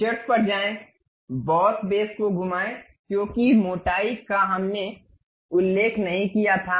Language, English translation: Hindi, Go to features, revolve boss base because thickness we did not mention